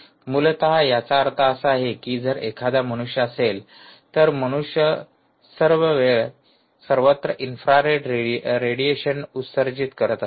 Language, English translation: Marathi, essentially it means this: that if there is a human, the human is emitting a lot of i r radiation all around all the time